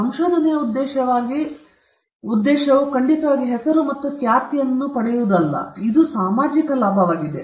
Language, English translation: Kannada, The objective of the research definitely is not for people to get name and fame; it is the social benefit that matters